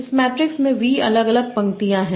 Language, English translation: Hindi, This matrix has v different rows